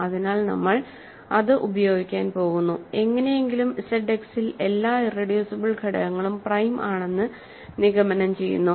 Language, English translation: Malayalam, So, we are going to use that and somehow conclude that in Z X also every irreducible element is prime